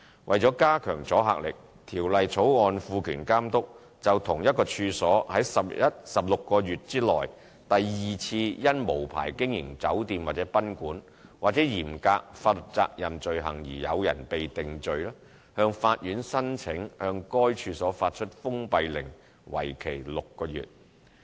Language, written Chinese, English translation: Cantonese, 為了加強阻嚇力，《條例草案》賦權監督，就同一處所於16個月內第二次因無牌經營酒店或賓館，或嚴格法律責任罪行而有人被定罪，向法院申請向該處所發出封閉令，為期6個月。, In order to enhance the deterrence the Bill empowers the Authority to apply to the Court upon the second conviction within 16 months of the offence of operating an unlicensed hotel or guesthouse or the new strict liability offence in respect of the same premises to issue a closure order for the premises for 6 months